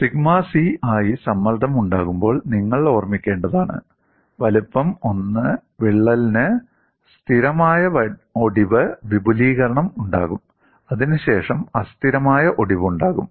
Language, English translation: Malayalam, You have to keep in mind when you have the stress as sigma c, a crack of size a 1 will have a stable fracture extension, followed by unstable fracture